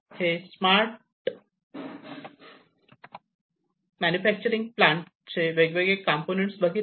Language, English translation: Marathi, So, what did we that these are the different components of a smart manufacturing plant